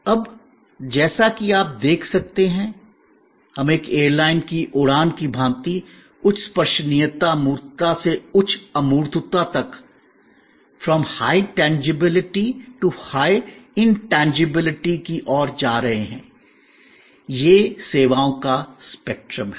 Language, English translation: Hindi, Now, an airline fight as you can see, we are going from high tangibility to high intangibility, this is the spectrum of services